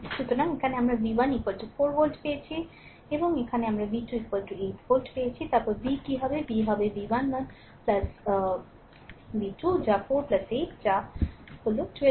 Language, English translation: Bengali, So, here we got v 1 is equal to 4 volt right and here we got v 2 is equal to 8 volt then what is v then, v will be is equal to v 1 1 plus v 2 that is 4 plus 8 that is your 12 volt right